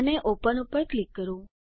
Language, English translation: Gujarati, and click on Open